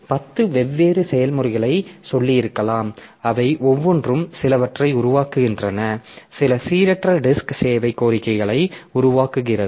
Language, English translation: Tamil, So, maybe that we have got say 10 different processes and each of them they are generated some generating some random disk service requests